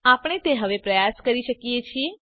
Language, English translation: Gujarati, We can try that now